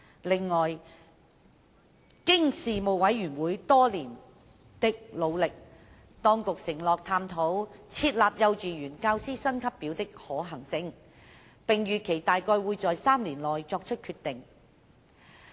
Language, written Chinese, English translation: Cantonese, 此外，經事務委員會多年的努力，當局承諾探討設立幼稚園教師薪級表的可行性，並預期大概會在3年內作出決定。, Besides under the efforts of the Panel over these years the Administration undertook to explore the feasibility of setting up a salary scale for KG teachers and it was expected that a decision would be made in about three years time